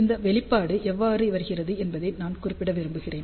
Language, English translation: Tamil, So, I just want to mention how this expression comes into picture